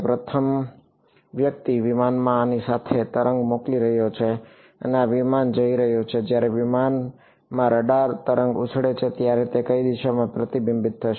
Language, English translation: Gujarati, So, the first guy is sending a wave with like this to the aircraft and this aircraft is going to when the radar wave bounces on the aircraft it is going to get reflected in which direction